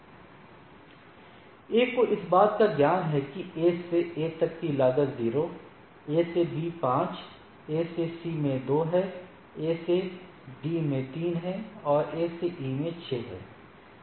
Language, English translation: Hindi, So, A have the knowledge that from A to A the cost is 0, A to B is 5, A to C is 2, A this is the first table is the A’s table right, A to D is 3 and A to E is 6